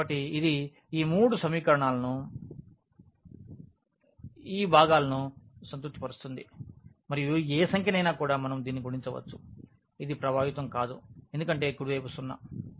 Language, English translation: Telugu, So, it will satisfy all these three equations this part and any number also we can multiply it to this, it will not affect because the right hand side is0